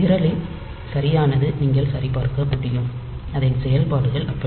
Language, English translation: Tamil, So, correctness of the program, you can verify, but the operations are like that